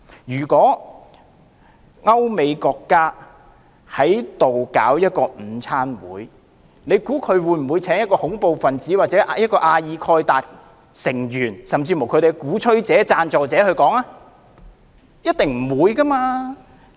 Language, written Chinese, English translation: Cantonese, 如果歐美國家在香港舉辦午餐座談會，大家認為他們會否邀請恐怖分子、阿爾蓋達成員，甚或恐怖主義的鼓吹者或贊助者前來演說嗎？, If a country in Europe or the United States organizes a luncheon talk in Hong Kong do you think it will invite a terrorist al - Qaeda member or even a terrorist advocate or sponsor as the speaker?